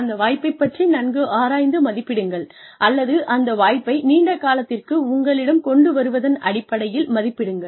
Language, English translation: Tamil, Assess that choice, or, evaluate that choice, or, weigh that choice, in terms of, what it will bring to you in the long term